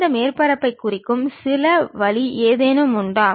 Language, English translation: Tamil, Are there any better way of representing this surfaces